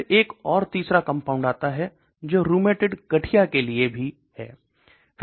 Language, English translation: Hindi, Then comes another third compound which is also for rheumatoid arthritis